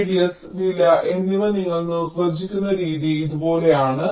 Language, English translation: Malayalam, the way you define the radius and cost is like this